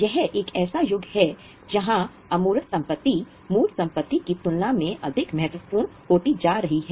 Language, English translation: Hindi, This is an era where intangible assets are becoming more important than tangible assets